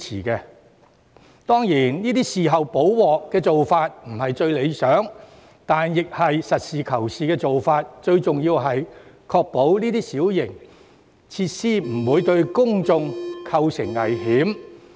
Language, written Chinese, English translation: Cantonese, 雖然"事後補鑊"的做法並非最理想，但實事求是，最重要是必須確保相關小型設施不會對公眾構成危險。, While remedial action like this may not be desirable from a practical point of view it is most important for the Government to ensure that the minor features in question will not pose risks to public safety